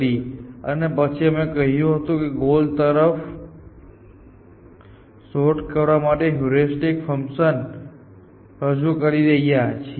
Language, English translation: Gujarati, We started search with line search algorithm and then say, then we said we are introducing heuristic functions to guide search towards the goal